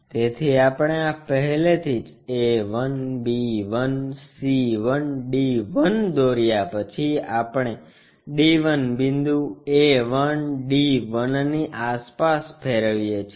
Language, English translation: Gujarati, So, we have already after constructing this a 1, b 1, c 1, d 1 we rotate around d 1 point a 1, d 1